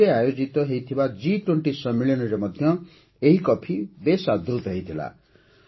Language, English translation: Odia, The coffee was also a hit at the G 20 summit held in Delhi